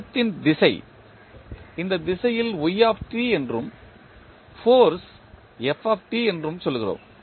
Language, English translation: Tamil, We say that the direction of motion is in this direction that is y t and force is f t